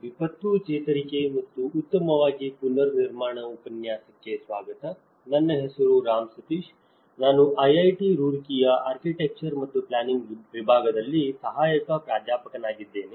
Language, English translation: Kannada, Welcome to the course, disaster recovery and build back better, my name is Ram Sateesh, I am an Assistant Professor in Department of Architecture and Planning, IIT Roorkee